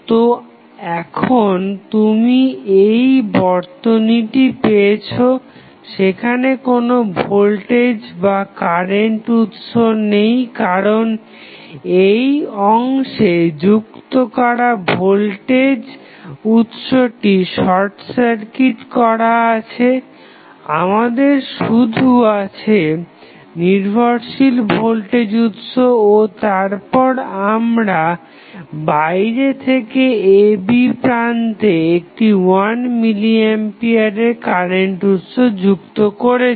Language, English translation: Bengali, So, now, you have got this circuit, you see in this circuit, there is no voltage or current source because the connected voltage source in this particular segment is short circuited; we are left with only the dependent voltage source and then we are connecting 1 milli ampere as a source external to the circuit across terminal AB